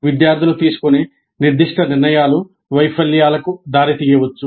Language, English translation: Telugu, Specific decisions made by the students may lead to failures